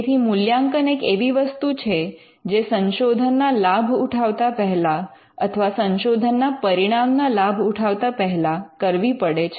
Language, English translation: Gujarati, Now, the evaluation is again it is something that has to be done before you actually reap the benefits of the research; benefits of the research results